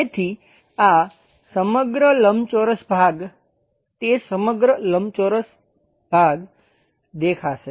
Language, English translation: Gujarati, So, this entire rectangle portion that entire rectangle portion will be visible